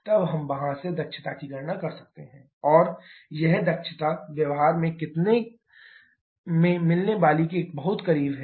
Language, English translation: Hindi, Then we can calculate the efficiency from there and that efficiency be quite close to what we can get in practice